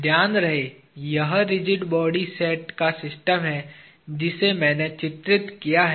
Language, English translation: Hindi, Mind you, this is the system of rigid body set I have drawn